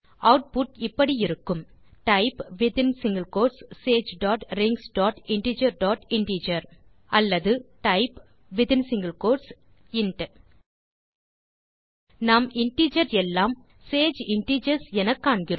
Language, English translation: Tamil, Output will be: type sage dot rings dot integer dot Integergtgt or type within colon int We see that Integers are Sage Integers